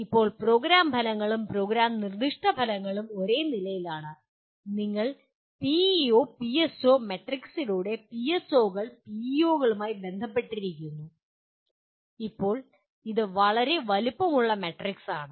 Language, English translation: Malayalam, And now Program Outcomes and Program Specific Outcomes are at the same level and they get related to PEOs through what you call PEO PSO matrix and now this is a fairly large size matrix